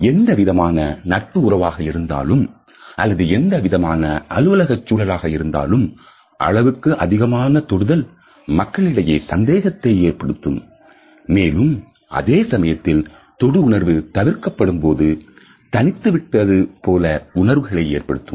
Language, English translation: Tamil, In any type of friendship or in any type of office environment, too much touch can also create certain doubts in the minds of the people and at the same time an absence of touch can also signal in aloofness which is not conducive to a work atmosphere